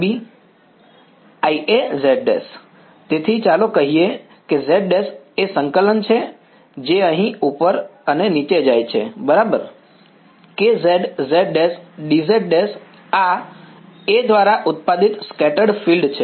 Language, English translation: Gujarati, I A z prime; so, let us say z prime is the coordinate that goes up and down over here ok, K of z, z prime d z prime this is the field produced by